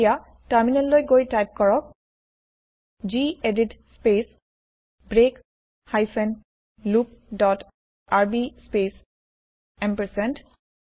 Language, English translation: Assamese, Now let us switch to the terminal and type gedit space break hyphen loop dot rb space ampersand